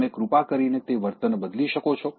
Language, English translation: Gujarati, Could you please change that behavior